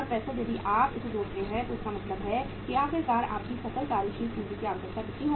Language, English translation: Hindi, 70065 if you add so it means finally your gross working capital requirement will be how much